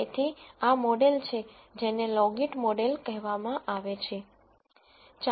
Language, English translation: Gujarati, So, this model is what is called a logit model